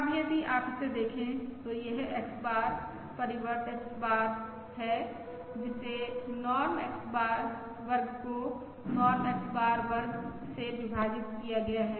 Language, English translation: Hindi, Now, if you look at this, look at this term, this is X bar transpose X bar, which is Norm X square divided by Norm X bar square